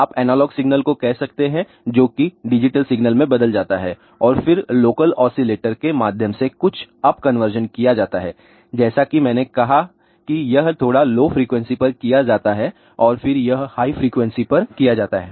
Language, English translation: Hindi, These things then go to because that may be of signal here could be ah you can say ah analog signal that is converted to the digital signal and then through the local oscillator some up conversion is done as I said this is done at a slightly lower frequency and then it is done at a higher frequency